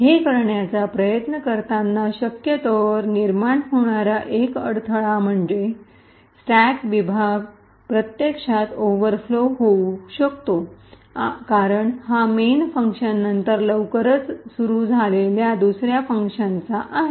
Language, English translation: Marathi, The one hurdle which one would probably face while trying to go this is that the stack segment may actually overflow for instance because this is from the second function which is invoked soon after main